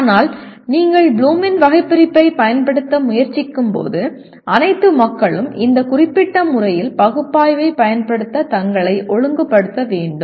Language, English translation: Tamil, But, so when you are trying to use the Bloom’s taxonomy all the people will have to discipline themselves to use analyze in a very in this very specific manner